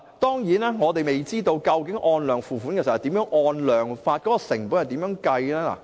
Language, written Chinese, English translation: Cantonese, 當然，我們未知道究竟如何"按量付款"，當中的成本是怎樣計算？, It is true that we do not know how water prices are charged based on quantities and how the costs are calculated